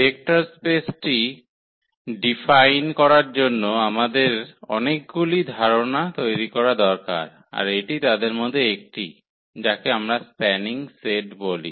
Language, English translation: Bengali, So, to define the Vector Space we need to prepare for many concepts and this is one of them so, called the spanning set